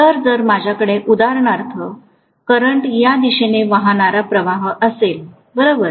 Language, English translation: Marathi, So if I am going to have for example, a current flowing in this direction, Right